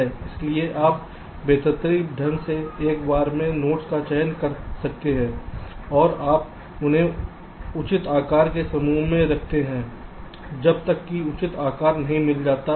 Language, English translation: Hindi, this says that you have a set of nodes, so you randomly select the nodes one at a time, and you go on placing them into clusters of fixed size until the proper size is reached